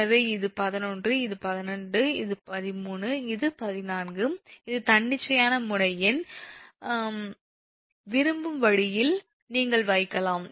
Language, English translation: Tamil, so this is eleven, this is twelve, this is thirteen, this is fourteen, this is node number in the arbitrary right, the where want can put